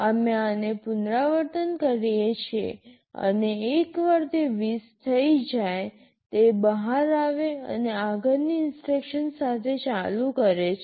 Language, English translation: Gujarati, We repeat this and once it becomes 20, it comes out and continues with the next instruction